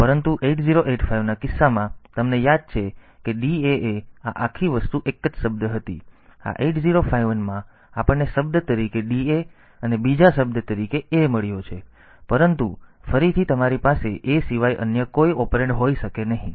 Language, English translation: Gujarati, But in case of 8085, you remember that DAA this whole thing was a single word; in this 8051 we have got DA as a word and a as another word, but again you cannot have any other operand excepting a